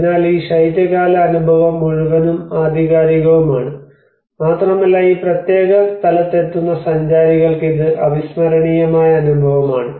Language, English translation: Malayalam, So that is how this whole winter experience is and very authentic, and it is unforgettable experience for the tourists who come to this particular place